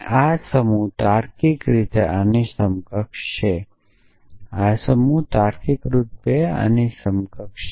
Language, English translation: Gujarati, This set is equivalent logically equivalent to this, this set is logically equivalent to this